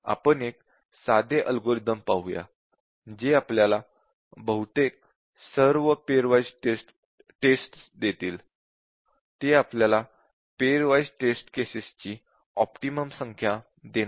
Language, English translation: Marathi, But let us look at a simple algorithm which will give us most of the pair wise test; I mean non optimal number of pair wise test cases